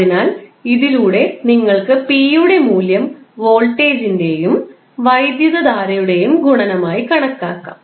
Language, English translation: Malayalam, So, with this you can simply calculate the value of p as a multiplication of voltage and current